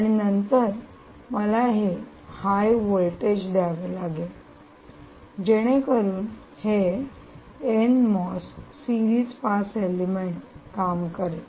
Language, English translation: Marathi, so then, and then i will have to provide this higher voltage in order to ensure that this n mos series pass element actually works